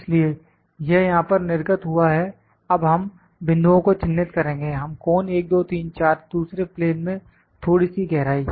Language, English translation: Hindi, So, it has appeared here now will mark the points, we will measure the cone 1, 2, 3, 4, a little depth in another plane in the second plane